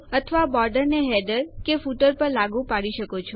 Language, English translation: Gujarati, Or apply a border to the header or footer